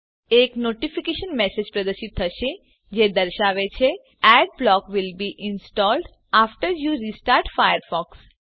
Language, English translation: Gujarati, A notification message will be displayed which says, Adblock will be installed after you restart Firefox